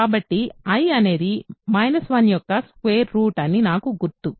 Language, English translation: Telugu, So, i remember is the square root of is the square root of minus 1